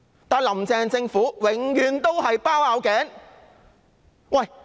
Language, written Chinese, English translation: Cantonese, 但是，"林鄭"政府永遠"包拗頸"。, However Carrie LAMs Government forever acted against peoples wish